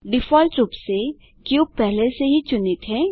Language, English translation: Hindi, By default, the cube is already selected